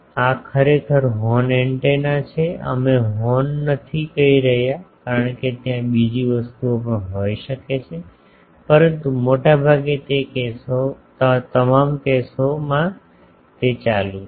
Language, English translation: Gujarati, This is actually horn antenna, we are not saying horn because there can be other things also, but mostly in all the cases it is on